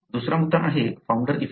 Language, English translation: Marathi, What is founder effect